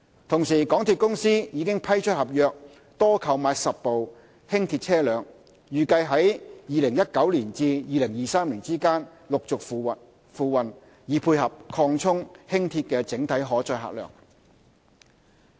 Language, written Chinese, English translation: Cantonese, 同時，港鐵公司已批出合約，多購買10部輕鐵車輛，預計由2019年至2023年之間陸續付運，以配合擴充輕鐵的整體可載客量。, At the same time MTRCL has awarded a contract to procure 10 additional LRVs which are expected to be delivered within the period from 2019 to 2023 to support the enhancement of overall carrying capacity of Light Rail